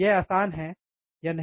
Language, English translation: Hindi, Is it easy or not